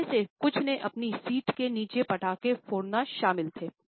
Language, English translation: Hindi, Some of them included bursting crackers beneath their seats